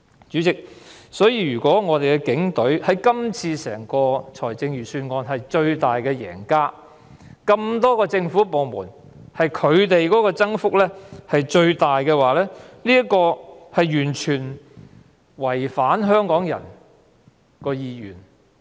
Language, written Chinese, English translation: Cantonese, 主席，因此，如果警隊在這份財政預算案中成為最大贏家，在眾多政府部門中的全年預算開支增幅最大，就是完全違反香港人的意願。, Chairman hence if the Police become the biggest winner in this Budget with the greatest growth in the annual estimated expenditure among all other government departments it will go against the will of Hong Kong people completely